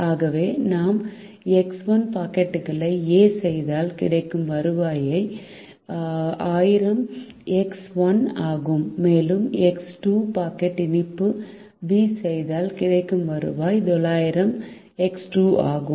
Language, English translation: Tamil, so if we make x one number of packets of a, then the revenue generated is thousand into x one, and if we make x two packets of sweet b, the revenue generated is nine hundred into x two